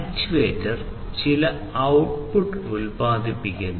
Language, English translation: Malayalam, And this actuator then produces certain output